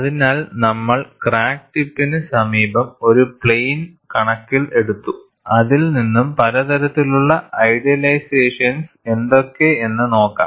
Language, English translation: Malayalam, So, we will pass a plane close to the crack tip, and look at what is the kind of idealizations that we are making